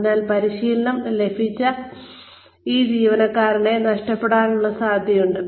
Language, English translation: Malayalam, So, we run the risk of losing these trained employees